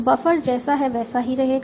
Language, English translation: Hindi, Buffer will remain as it is